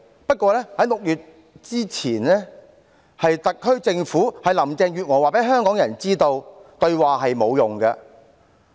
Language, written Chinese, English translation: Cantonese, 不過，在6月之前，是特區政府、林鄭月娥告訴香港人，對話是沒有用的。, However it was the SAR Government and Carrie LAM who told Hongkongers before June that dialogue is useless